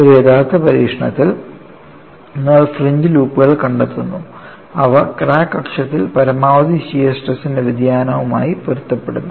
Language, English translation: Malayalam, In an actual experimentation, you do find fringe loops, and they correspond to variation of maximum shear stress along the crack axis